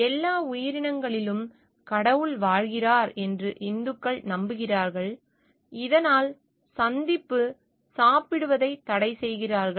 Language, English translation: Tamil, Hindus believe that god resides in all creatures and thus prohibit eating meet